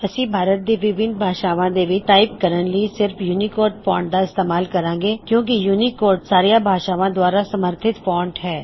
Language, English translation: Punjabi, We shall use only UNICODE font while typing in Indian languages, since UNICODE is the universally accepted font